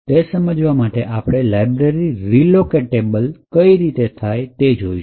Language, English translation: Gujarati, In order to understand this, we will need to know how libraries are made relocatable